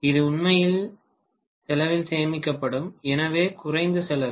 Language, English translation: Tamil, This will actually save on the cost, so less costly